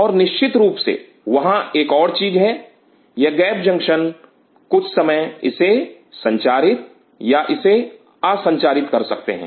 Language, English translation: Hindi, And of course, there is one more thing this gap junction may be sometime gate it or non gate it